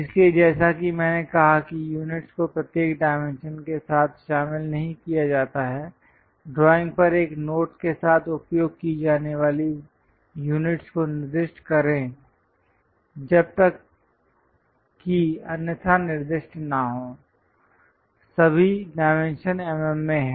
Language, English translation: Hindi, So, as I said units are not included with each dimension, specify the units used with a note on the drawing as unless otherwise specified, all dimensions are in mm